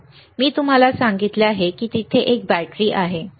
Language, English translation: Marathi, I told you there is a there is a battery, right